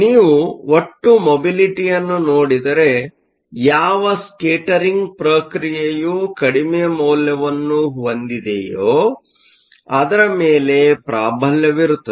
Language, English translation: Kannada, If you look at the total mobility, it will be dominated by whichever scattering process has the lower value